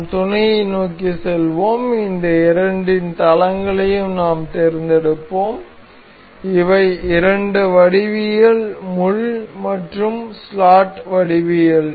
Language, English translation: Tamil, We will go to mate, we will select the planes of these two with these are the two geometry the pin and the slot geometry